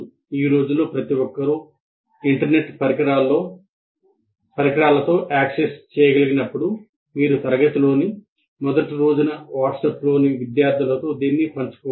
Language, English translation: Telugu, These days as everybody is accessible on internet devices, you can put this up and share with the students in WhatsApp right on the first day of the class